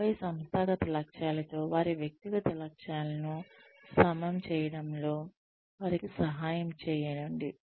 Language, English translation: Telugu, And, then help them align their personal objectives, with organizational objectives